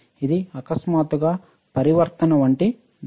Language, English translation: Telugu, It is a sudden step like transition